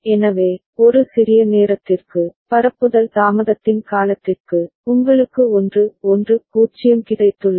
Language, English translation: Tamil, So, for a small time, for the duration of the propagation delay, you have got 1 1 0